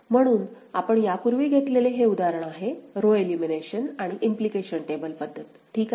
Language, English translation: Marathi, So, this is the example that we had taken before ok; row elimination and implication table method, same example alright